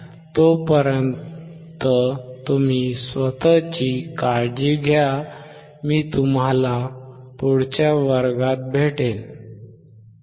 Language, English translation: Marathi, Till then, you take care, I will see you next class, bye